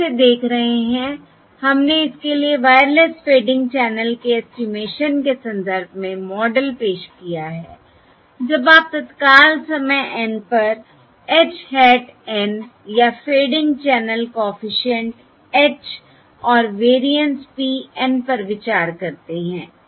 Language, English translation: Hindi, we have introduced the model for this in the context of wireless fading channel estimation, when you consider the time instant h hat of N or the fading channel coefficient: h at time instant N and the variance P of n at time instant N